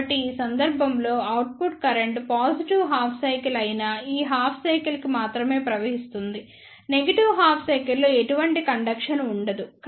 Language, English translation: Telugu, So, in this case the output current will flow only for this half cycle that is positive half cycle, there will not be any conduction in the negative half cycle